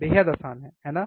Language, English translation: Hindi, Extremely easy, right